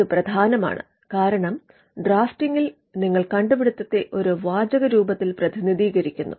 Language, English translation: Malayalam, This is important because, in drafting you are representing the invention in a textual form